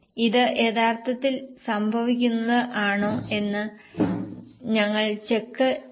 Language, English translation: Malayalam, We'll just check it whether it is actually happening